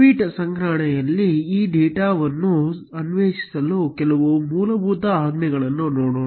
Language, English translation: Kannada, Let us look at few basic commands to explore this data in tweet collection